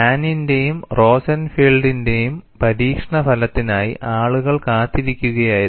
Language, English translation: Malayalam, So, what is the experimental work of Hahn and Rosenfield